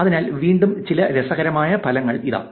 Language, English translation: Malayalam, So, here are some interesting results again